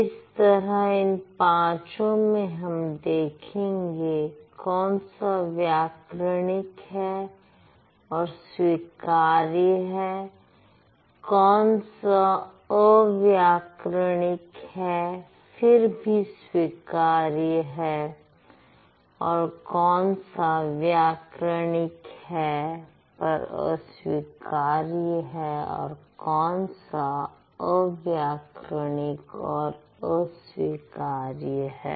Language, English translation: Hindi, So, these five sentences will see which one is grammatical, which one is acceptable, which one is ungrammatical yet acceptable, grammatical yet unacceptable, on grammatical and unacceptable